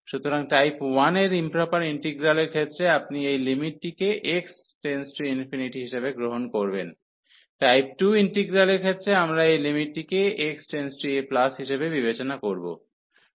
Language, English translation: Bengali, So, in case of the improper integral of type 1 you will take this limit as x approaches to infinity, in case of integral of type 2 we will consider this limit as x approaches to a plus